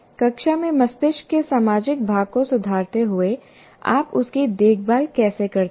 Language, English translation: Hindi, And how does it, in a classroom, the social part of the brain the improving the social part of the brain, how do you take care of it